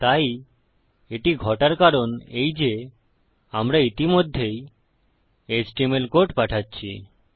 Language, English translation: Bengali, So the reason that this is happening is we are already sending our html code